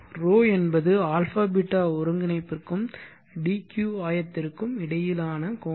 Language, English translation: Tamil, is nothing but the angle between the a beeta coordinate and the dq coordinate